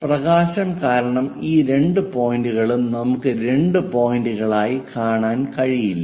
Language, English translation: Malayalam, These two points because of light we cannot really see into two points, but only one point as that we will see